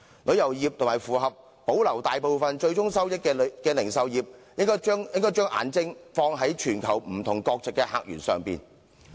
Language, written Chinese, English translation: Cantonese, 旅遊業和保留大部分最終收益的零售業應該放眼於全球不同國籍的客源。, The tourism industry and the retail industry that retains most of the ultimate gains should set eyes on visitor sources of different nationalities from the world